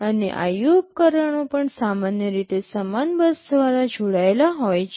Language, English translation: Gujarati, And IO devices are also typically connected through the same bus